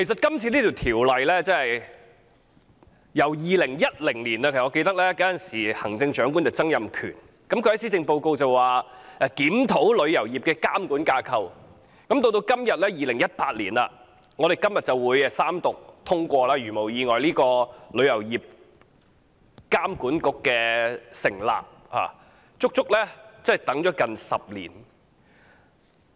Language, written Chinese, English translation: Cantonese, 關於《旅遊業條例草案》，從2010年時任行政長官曾蔭權在施政報告中宣布檢討旅遊業的監管架構，到2018年的今天三讀通過《條例草案》以成立旅遊業監管局，我們足足等了接近10年。, As regards the Travel Industry Bill the Bill from the announcement by then Chief Executive Donald TSANG of reviewing the regulatory framework of the travel industry in the Policy Address in 2010 to the Third Reading and passage of the Bill today in 2018 for setting up a Travel Industry Authority TIA we have waited a good 10 years or so